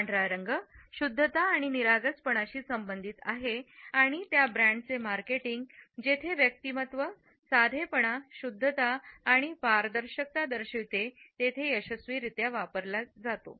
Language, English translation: Marathi, White is associated with purity and innocence and has been successfully used in marketing of those brands where the personality is about simplicity, purity and transparency